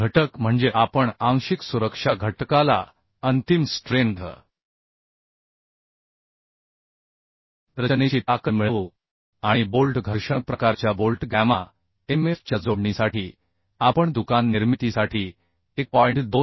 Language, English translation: Marathi, 25 partial safety factor that means we are dividing the partial safety factor with the ultimate strength to get the design strength And for connection for bolt friction type bolt gamma mf we use 1